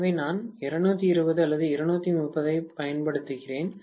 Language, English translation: Tamil, So, this is where I apply 220 volts or 230 volts